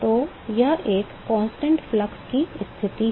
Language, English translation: Hindi, So, it is a constant flux condition